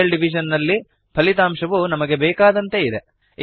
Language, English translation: Kannada, In real division the result is as expected